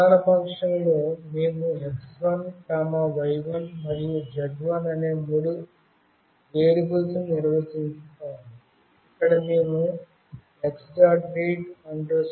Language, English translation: Telugu, In the main function we define three variables x1, y1 and z1, where we are reading the analog value x1 using the function x